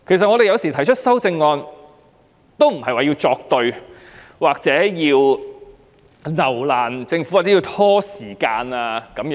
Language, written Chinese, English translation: Cantonese, 雖然議員提出修正案，但不等於他們要跟政府作對、有意留難或拖延時間。, Although Members propose amendments this does not mean that they are acting against the Government deliberately making things difficult for the Government or stalling